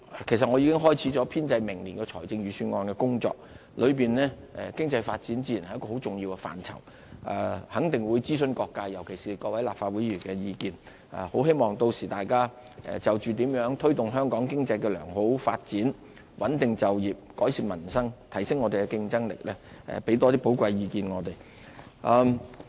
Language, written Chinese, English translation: Cantonese, 其實我已經開始編製明年財政預算案的工作，當中經濟發展自然是一個很重要的範疇，肯定會諮詢各界，尤其是各位立法會議員的意見，很希望屆時大家就着怎樣推動香港經濟的良好發展、穩定就業、改善民生和提升香港的競爭力，多給我們一些寶貴意見。, In fact I have already started preparing the next years Budget . As economic development is one of its key areas we will surely consult different sectors especially Members of the Legislative Council about this issue . I hope that Members can by then put forward more valuable opinions with regard to how to promote Hong Kongs economic development stabilize employment improve peoples livelihood and enhance the competitiveness of Hong Kong